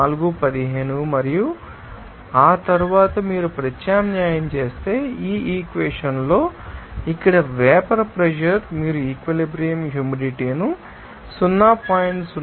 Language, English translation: Telugu, 415 and after that if you substitute that vapor pressure here in this equation, you will get to that saturation humidity will be called 0